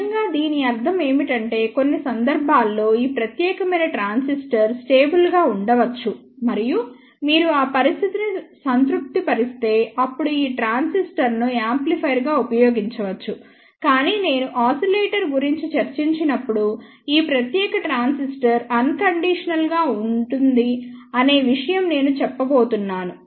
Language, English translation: Telugu, What it really means is that for certain cases, this particular transistor may be stable and if you satisfy those condition, then this transistor can be used as an amplifier, but when I discuss about the oscillator, the same thing I am going to say that this particular transistor is unstable